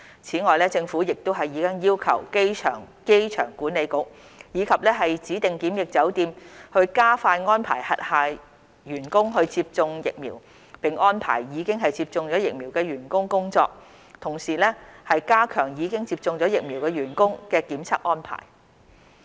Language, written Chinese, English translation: Cantonese, 此外，政府亦已要求機場管理局及指定檢疫酒店，加快安排轄下員工接種疫苗並安排已接種疫苗員工工作，同時加強已接種疫苗員工的檢測安排。, In addition the Government has also requested the Airport Authority and designated quarantine hotels to speed up vaccination arrangements for their staff arrange vaccinated staff to work and at the same time strengthen testing arrangements for vaccinated staff